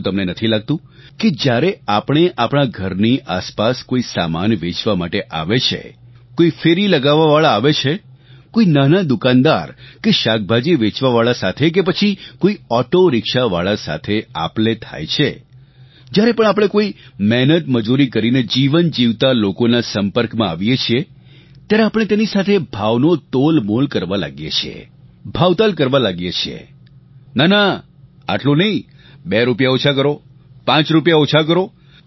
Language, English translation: Gujarati, Don't you feel that whenever a vendor comes to your door to sell something, on his rounds, when we come into contact with small shopkeepers, vegetable sellers, auto rickshaw drivers in fact any person who earns through sheer hard work we start bargaining with him, haggling with him "No not so much, make it two rupees less, five rupees less